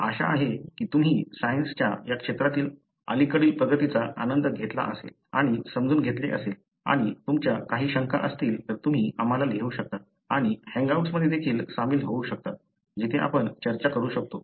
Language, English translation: Marathi, We hope you have enjoyed and understood some of the recent advancement in this field of science and if you have any query, doubts, you may write to us and also do join in the hangouts, we will be able to discuss